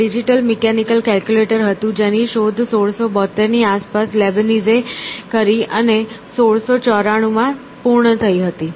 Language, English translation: Gujarati, It was a digital mechanical calculator invented by Leibniz around 1672 and completed in 1694